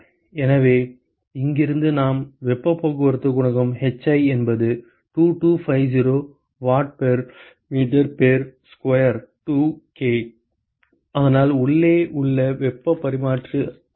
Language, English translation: Tamil, So, from here we find out that the heat transport coefficient hi is 2250 watt per meter square 2 K, so that is the inside heat transfer coefficient